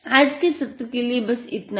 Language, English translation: Hindi, That is it for the today session